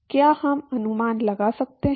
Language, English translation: Hindi, Can we guess